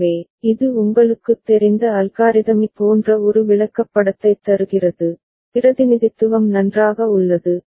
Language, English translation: Tamil, So, that gives a flow chart like or as I said algorithmic you know, representation fine